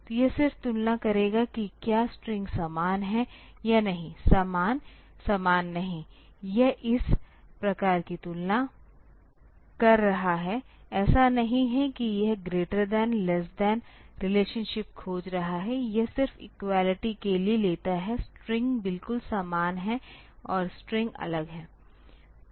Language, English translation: Hindi, So, it will just compare whether the strings are same or not; same, not same; it is just doing this type of comparison; it is not that it is finding greater than, less than relationship; it just takes for the equality the strings are exactly same and the strings are different